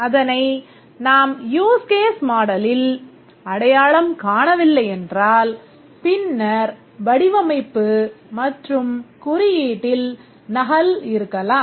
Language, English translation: Tamil, If we don't identify them here in the use case model, later there may be a duplication of the design and code